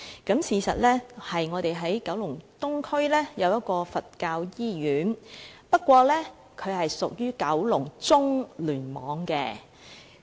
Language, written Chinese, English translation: Cantonese, 事實上，雖然該中心位於九龍東的香港佛教醫院內，但該醫院是屬於九龍中聯網的。, As a matter of fact although that centre is located in the Hong Kong Buddhist Hospital in Kowloon East the hospital belongs to the Kowloon Central Cluster